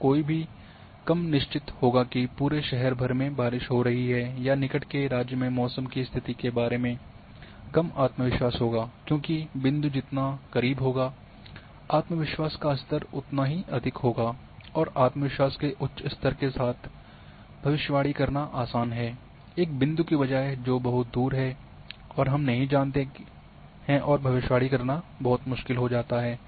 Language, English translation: Hindi, And one would be less certain if it was raining across town or less confident still about the state of the weather in the next country, because closer the point higher would be the confidence level and it is easier to predict with high level of confidence rather than a point which is very far and we do not know and it is it becomes very difficult to predict